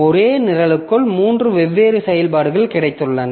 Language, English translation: Tamil, So, within the same program we have got three different executions